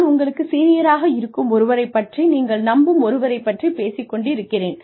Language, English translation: Tamil, I am only talking about, somebody senior to you, who you trust